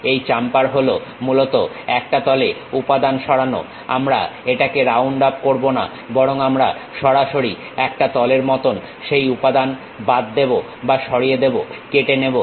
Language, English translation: Bengali, Chamfer is basically removing material on a plane, we do not round it off, but we straight away chop or remove that material like a plane, a cut